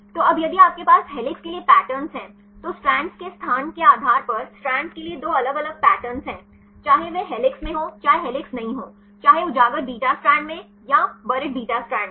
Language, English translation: Hindi, So, now, if you have the patterns for helix there are two different patterns for the strand based on the location of the strands whether it is in helix whether is not helix is whether in the exposed beta strand or at the buried beta strand